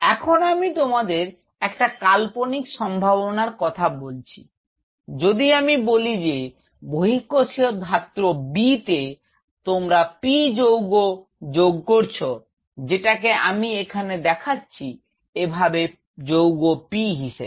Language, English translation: Bengali, Now if I give you hypothetical situation if I say if in the extra cellular matrix B, you add compound P, which I am representing by say compound P something like this